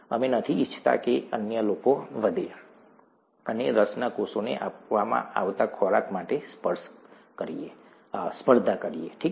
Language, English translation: Gujarati, We do not want the others to grow, and compete for the food that is given to the cells of interest, okay